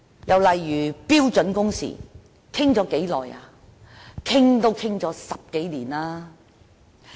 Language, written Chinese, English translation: Cantonese, 又例如標準工時，我們已討論多久呢？, And let us take standard working hours as an example . How long have we been discussing about this?